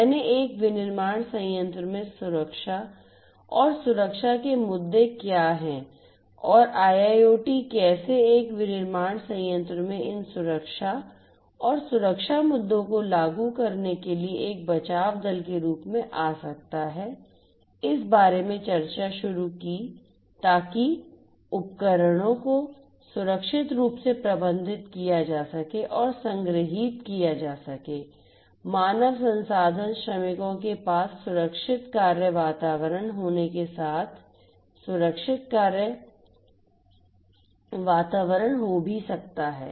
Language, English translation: Hindi, I started discussing about you know what are the security and safety issues in a manufacturing plant and how IIoT can come as a rescuer for you know for implementing these safety and security issues in a manufacturing plant so that the devices can be safely and securely managed and stored and also they the human resources the workers could also be having a safe working environment a secured working environment